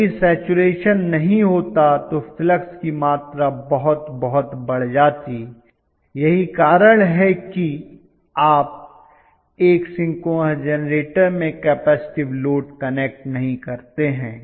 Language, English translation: Hindi, If the saturation had not been there you would have seen a huge amount of flux that is one reason why whenever, you connect a capacitive load in a synchronous generator